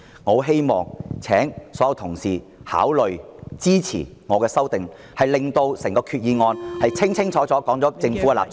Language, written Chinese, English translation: Cantonese, 我希望所有同事考慮支持我的修訂議案，令到決議案清楚說明政府的立場。, I hope all Honourable colleagues will consider supporting my amending motion so that the Resolution can clearly spell out the position of the Government